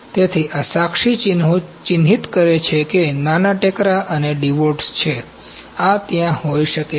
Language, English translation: Gujarati, So, this witness marks that is small bumps and divots, these can be there